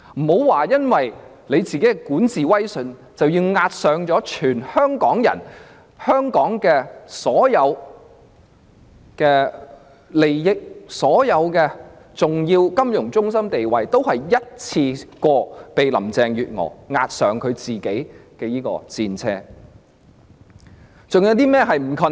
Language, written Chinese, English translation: Cantonese, 她不應為了自己的管治威信而押上全香港的人、香港的所有利益、重要的金融中心地位，但如今這些都被林鄭月娥一次過押上她的戰車。, She should not put the people of Hong Kong all the interests of Hong Kong and our significant status as a financial centre at stake merely for her own prestige in governance . Yet this time around Carrie LAM has loaded up her chariot with all these